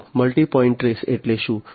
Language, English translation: Gujarati, So, multi point trace means what